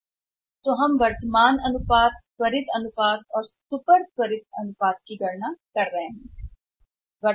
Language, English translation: Hindi, So, what we were doing we are calculating current ratio, quick ratio and the super quick ratio right